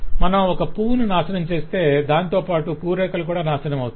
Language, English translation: Telugu, so if you destroy a flower, the petals will also be destroyed